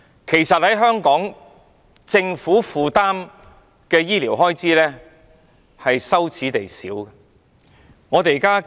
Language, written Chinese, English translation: Cantonese, 其實，在香港，政府負擔的醫療開支是羞耻地少。, In Hong Kong the Government often claims that we do not have enough funds for our wide range of excellent health care services